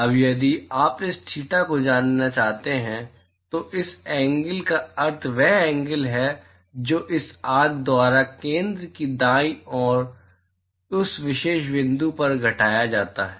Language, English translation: Hindi, Now, if you want to know this theta, the meaning of this angle is the what is the angle that is “subtended” to by this arc to that particular point to the center right